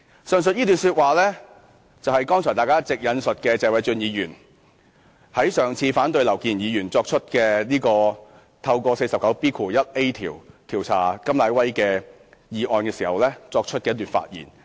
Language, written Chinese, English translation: Cantonese, "上述一段說話是大家剛才一直引述，謝偉俊議員在上次反對前議員劉健儀根據《議事規則》第 49B 條調查甘乃威的議案時作出的發言。, The aforementioned remarks were made by Mr Paul TSE previously against Mrs Miriam LAUs motion to investigate Mr KAM Nai - wai under Rule 49B1A of the Rules of Procedure which many Members have been citing earlier